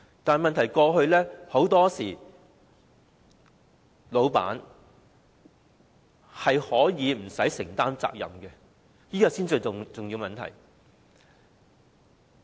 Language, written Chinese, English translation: Cantonese, 但問題在於過去老闆往往無須承擔責任，這是最重要的問題。, The problem is that in the past employers often did not need to bear any responsibility . It is the crucial question